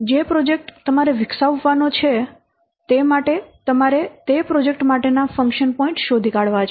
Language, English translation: Gujarati, In this example, a project you have to develop for that you have to find out the function point for that project